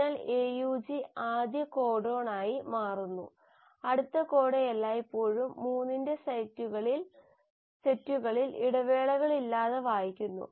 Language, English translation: Malayalam, So AUG becomes the first code, the next code is always read without any break in sets of 3